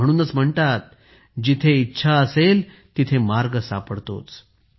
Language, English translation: Marathi, That's why it is said where there is a will, there is a way